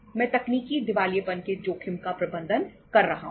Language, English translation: Hindi, I am managing the risk of technical insolvency